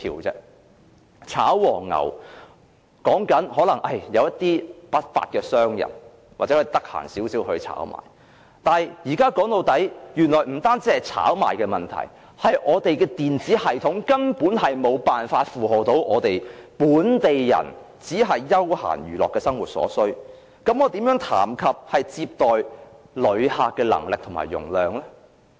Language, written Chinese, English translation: Cantonese, 所謂"炒黃牛"，說的可能只是一些不法商人，或比較有空的人來炒賣，但說到底，現在不僅是炒賣的問題，而是我們的電子系統根本無法應付本地人只是休閒娛樂的生活所需，那麼，我們又如何談論接待旅客的能力和容量呢？, The so - called ticket touting involves those unscrupulous merchants or people who have the time for touting activities only but after all what we are facing today is not only the issue of ticket touting but that our electronic systems are simply unable to cope with the recreational needs of local people . Then how would it be possible for us to go on to discuss our visitor receiving capability and capacity?